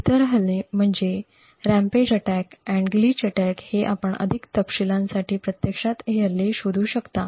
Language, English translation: Marathi, Other attacks are the rampage attacks and the glitch attacks you could actually look up these attacks for more details